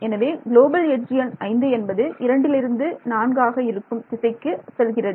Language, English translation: Tamil, So, edge global edge number 5 points from 2 to 4 right